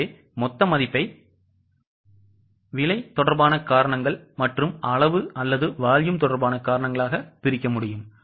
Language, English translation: Tamil, So, total value can be broken into price related reasons and quantity or volume related reasons